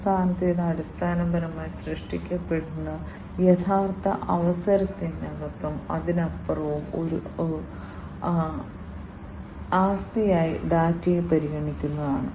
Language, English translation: Malayalam, And the last one is basically the consideration of the data as an asset within and beyond the actual opportunity that is created